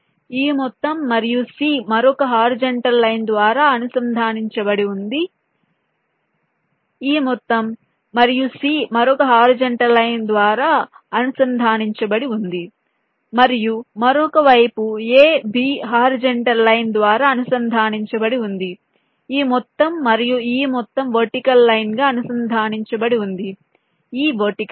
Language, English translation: Telugu, this whole thing, and c is connected by another horizontal line and the other side, a, b, is connected by horizontal line, a, b by horizontal line, this whole thing and this whole thing connected by a vertical line, this vertical line